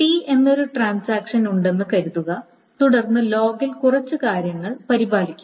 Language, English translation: Malayalam, Now, for a particular transaction T, suppose there is a transaction T, the couple of things are maintained in the log